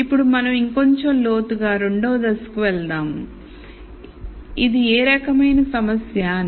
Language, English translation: Telugu, Now we drill down a little more and we go on to step 2 which is what type of problem is this